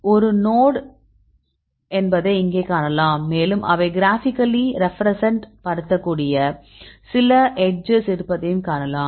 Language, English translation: Tamil, So, you can see here this is a node, and you can see there are some edges right they can graphically represent